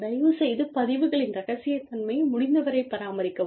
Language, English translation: Tamil, And, please maintain confidentiality, of the records, as far as possible